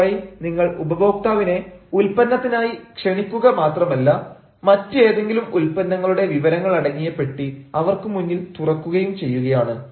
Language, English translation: Malayalam, this way, you are not only inviting your customer for one product, rather you are also opening before him another box of information for some other product